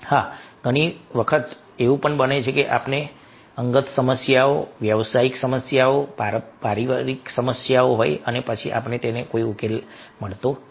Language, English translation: Gujarati, yes, many time it happens that we are having lots of personal problems, professional problems, family problems, and then we do not find any solution